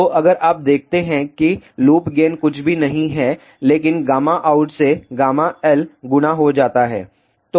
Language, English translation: Hindi, So, if you see loop gain is nothing but gamma out multiplied by gamma l